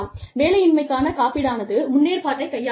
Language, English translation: Tamil, Unemployment insurance, deals with the provision